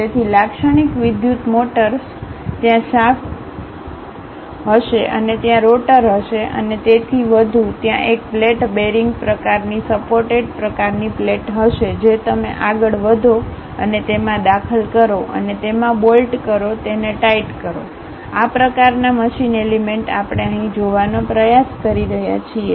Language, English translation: Gujarati, So, the typical electrical motors, there will be shaft and there will be rotor and so on; there will be a plate bearing kind of supported kind of plate which you go ahead and insert it and bolt in it, tighten it, such kind of machine element what we are trying to look at here